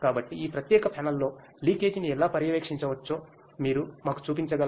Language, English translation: Telugu, So, can you show us how we can monitor leakage in this particular panel